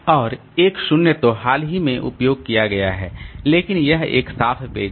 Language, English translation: Hindi, And 1 0, so this is recently used but it is a clean page